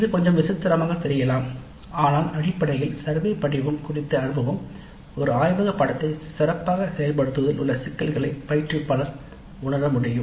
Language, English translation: Tamil, Now it looks a little bit peculiar but basically the exposure to the survey form would help sensitize the instructor to the issues that are involved in good implementation of a laboratory course